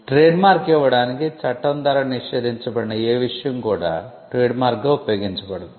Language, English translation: Telugu, A matter prohibited by law to be used as trademark cannot be used as a trademark